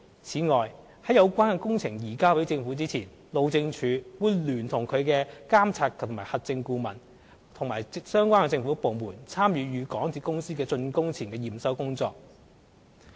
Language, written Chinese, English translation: Cantonese, 此外，在有關工程移交給政府前，路政署會聯同其監核顧問和相關政府部門參與港鐵公司的竣工前驗收工作。, Furthermore the Highways Department in collaboration with the MV Consultant and relevant government departments will participate the pre - handing over inspection of the MTRCL before the relevant works are handed over to the Government